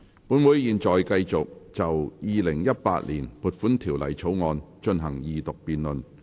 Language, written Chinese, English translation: Cantonese, 本會現在繼續就《2018年撥款條例草案》進行二讀辯論。, Council now continues the debate on the Second Reading of the Appropriation Bill 2018